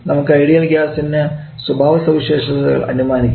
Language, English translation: Malayalam, We considered an ideal gas has a working medium